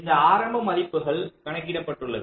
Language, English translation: Tamil, so these with these initial values, as have calculated